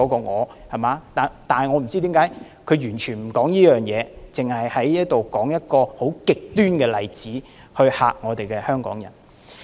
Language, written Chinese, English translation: Cantonese, 我不知道他為甚麼完全不提這一點，只在這裏說一個很極端的例子來嚇怕香港人。, I do not understand why he has not mentioned this point at all and has only cited a very extreme example to scare Hong Kong people